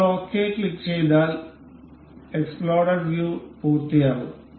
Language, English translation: Malayalam, And we will once we click ok, the explode view completes